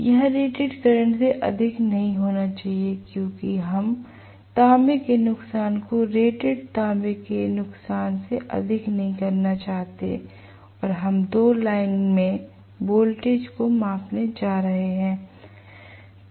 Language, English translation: Hindi, It should not exceed rated current because we do not want to make the copper losses greater than rated copper losses and we are going to measure the voltage across 2 lines